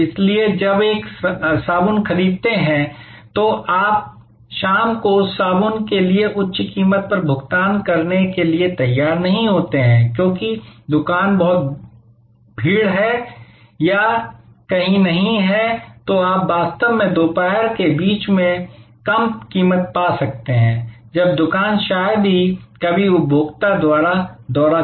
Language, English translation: Hindi, So, when a buying a soap, you are not prepared to pay higher price for that soap in the evening, because the shop is very crowded or nowhere can you actually get a lower price in the middle of the afternoon, when the shop is seldom visited by consumer